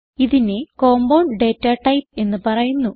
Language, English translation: Malayalam, It is called as compound data type